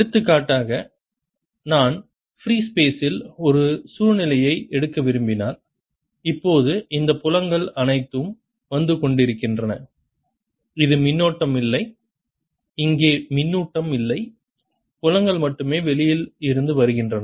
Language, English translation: Tamil, for example, if i were to take a situation in free space, ah, let's see in, ah, ah, i mean some space where all these fields are coming and there's no current here, no charge here, only fields are coming from outside